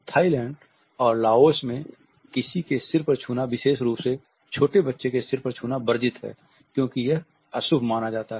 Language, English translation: Hindi, In Thailand and Laos it is a taboo to touch somebody on head particularly the young children because it is considered to be inauspicious